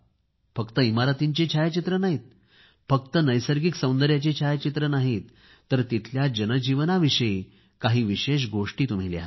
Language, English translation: Marathi, Write not only about architecture or natural beauty but write something about their daily life too